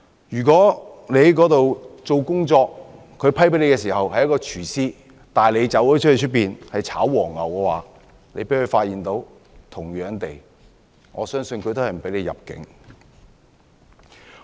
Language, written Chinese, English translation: Cantonese, 如果他獲批簽證時他的工作是廚師，但他卻在當地"炒黃牛"，被當局發現的話，我相信他也不會獲准入境。, If a person is granted a visa for working as a chef but he actually works as a ticket scalper and if the authorities find out his condition I believe he will not be allowed to enter the country